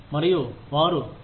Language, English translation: Telugu, And, they say, oh